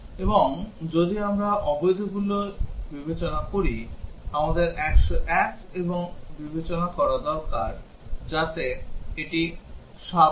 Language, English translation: Bengali, And if we consider the invalid ones, we would also need to consider 101 and 0, so that would make it 7